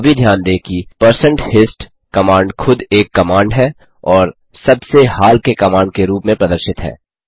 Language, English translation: Hindi, Also note that, the#160%hist itself is a command and is displayed as the most recent command